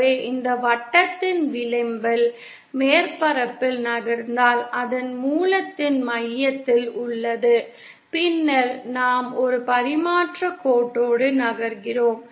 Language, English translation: Tamil, So then if we move along the surface of the along the edge of this circle which has the center at origin then we are moving along a transmission line